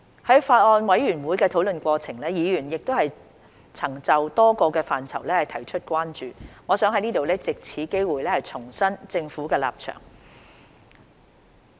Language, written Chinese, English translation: Cantonese, 在法案委員會討論的過程中，議員曾就多個範疇提出關注，我想藉此機會重申政府的立場。, In the course of the Bills Committees deliberations Members have raised concerns in a range of aspects and I would like to take this opportunity to reiterate the Governments stance